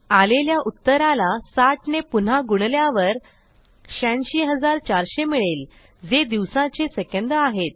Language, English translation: Marathi, And then multiply the answer by 60 to get the number of seconds in a day which is 86,400